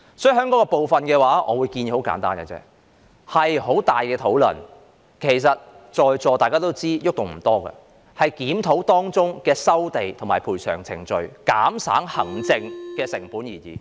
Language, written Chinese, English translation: Cantonese, 就此，我的建議十分簡單，我認為可作討論，但在座各位也知道改動空間不多，只能檢討當中的收地和賠償程序，以減省行政成本。, In this regard my view is very simple . I think we may discuss this suggestion but all of us present should know that there is little room for amendment . We can at most review the relevant land resumption and compensation procedures to reduce the administrative costs